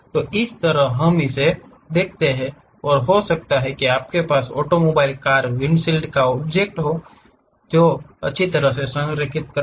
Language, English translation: Hindi, Similarly, let us look at this, maybe you have an automobile car windshields have to be nicely aligned with the object